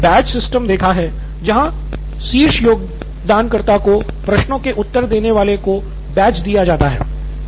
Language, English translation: Hindi, I have seen a badge system, a badge given to the top contributor, people who answer questions